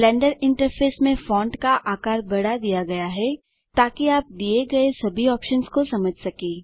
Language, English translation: Hindi, The font size in the Blender interface has been increased so that you can understand all the options given